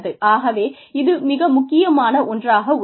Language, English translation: Tamil, So, it is very important